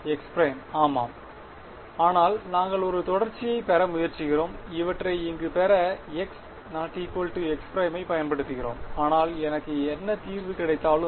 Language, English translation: Tamil, A 1 x prime yeah, but we are trying to get a continuity, we use x not equal to x prime to derive these over here, but whatever solution I get